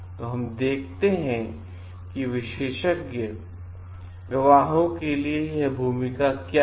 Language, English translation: Hindi, So, let us see like what are these role for expert witnesses